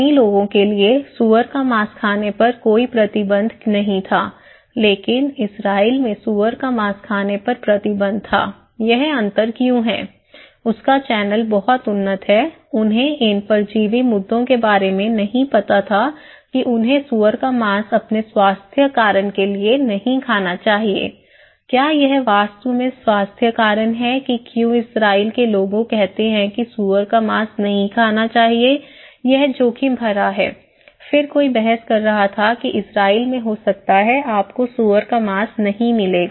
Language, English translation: Hindi, There was no restrictions for Chinese people not eating pork but in Israeli, in Israel there was the restrictions of not eating pork, why there is a difference, his channel is much advanced, they didnít know about these parasite issues that not to eat pork for their health reason, is it really the health reason thatís why the Israeli people saying that do not eat pork is risky, then somebody who was arguing that may be in Israel, you would not get pork; pigs